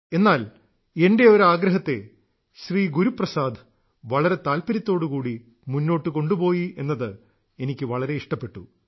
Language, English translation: Malayalam, But I felt nice that Guru Prasad ji carried forward one of my requests with interest